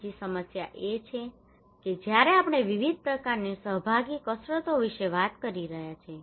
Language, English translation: Gujarati, Another problem is that when we are talking about various kind of participatory exercises